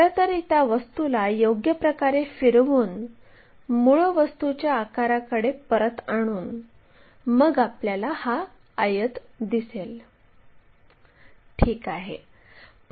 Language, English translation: Marathi, Actually, that object by rotating properly bringing it back to original thing we will see this rectangle, ok